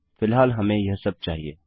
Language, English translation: Hindi, Thats all we want at the moment